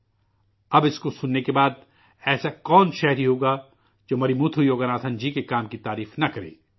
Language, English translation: Urdu, Now after listening to this story, who as a citizen will not appreciate the work of Marimuthu Yoganathan